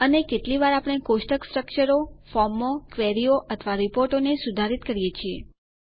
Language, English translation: Gujarati, And how often we modify the table structures, forms, queries or reports